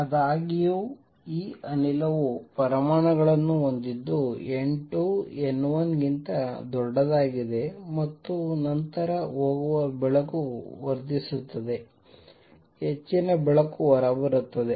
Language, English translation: Kannada, Consider the possibility however, that this gas has atoms such that N 2 is greater than N 1 then light which is going in will get amplified; more light will come out